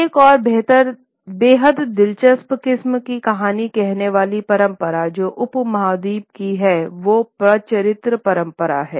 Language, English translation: Hindi, Another very interesting kind of storytelling tradition which is from the subcontinent is that of the Patachitra tradition